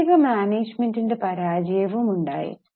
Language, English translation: Malayalam, Now there was also failure of financial management